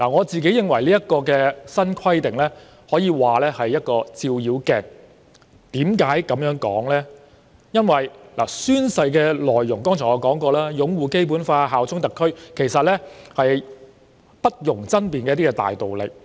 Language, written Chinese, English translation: Cantonese, 這項新規定可說是一面照妖鏡，因為宣誓內容包括擁護《基本法》、效忠特區，而這些都是不容爭辯的大道理。, This new requirement can be said to be a Foe - Glass because the content of the oath includes upholding the Basic Law and bearing allegiance to SAR which are all indisputable broad principles